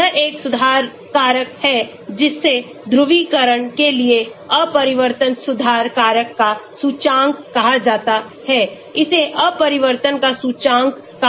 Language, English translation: Hindi, This is a correction factor this is called index of refraction correction factor for polarization it is called index of refraction